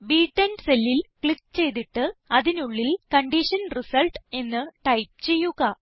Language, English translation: Malayalam, Lets click on the cell referenced as B10 and type Condition Result inside it